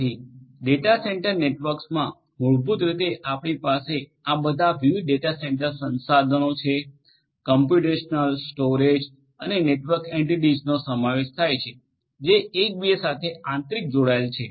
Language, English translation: Gujarati, So, in a data centre network basically we have all these different data centre resources involving computational, storage and network entities, which interconnect with one another